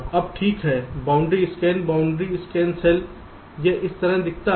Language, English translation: Hindi, this is how the boundary scan cell looks like now